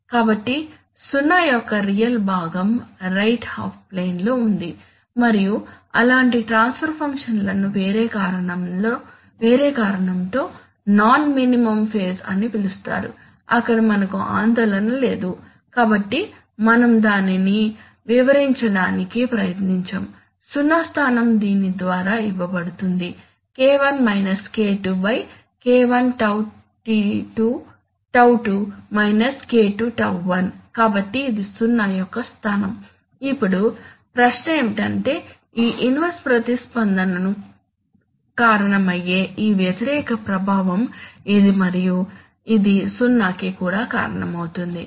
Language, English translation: Telugu, So the real part of the 0 is in the right half plane and such the transfer functions are called non minimum phase for a different reason, there which is not concerned we are not concerned with that, so we will not try to explain that and that zero location is given by this minus K1 by by (K1τ2 – K2τ1), so that is the location of the zero, now the question is that, the, it is this opposing effect which is causing this inverse response and which is also causing the 0